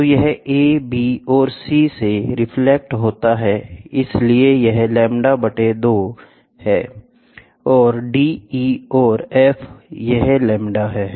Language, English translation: Hindi, So, it gets reflected from a b and c so that is lambda by 2, and d, e and f, it is 3 lambda by 2